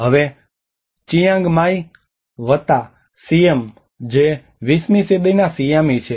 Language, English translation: Gujarati, And now the Chiang Mai plus Siam which is the Siamese on the 20th century